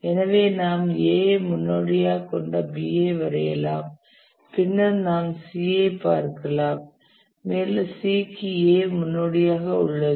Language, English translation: Tamil, So you can draw B which has A is the predecessor and then we can look at C and C also has A as the predecessor